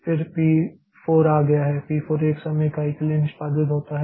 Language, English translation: Hindi, Then p 2 will be executed for 1 time unit